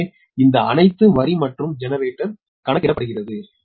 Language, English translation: Tamil, so this all line and generator computed